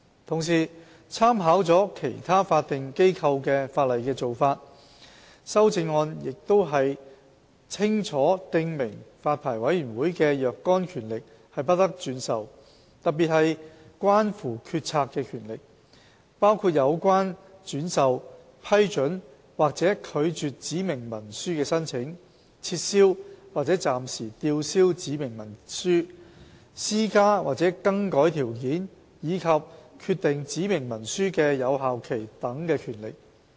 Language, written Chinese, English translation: Cantonese, 同時，參考了其他法定機構的法例的做法，修正案亦清楚訂明發牌委員會的若干權力不得轉授，特別是關乎決策的權力，包括有關轉授、批准或拒絕指明文書的申請、撤銷或暫時吊銷指明文書、施加或更改條件，以及決定指明文書的有效期等權力。, Meanwhile with reference to the practice of legislation relating to various statutory bodies the amendment will stipulate that certain powers of the Licensing Board specifically those relating to decision - making are not delegable . Such non - delegable powers will include for instance the power to delegate to approve or reject any application for a specified instrument to revoke or suspend a specified instrument to impose or vary conditions to determine the validity period of a specified instrument etc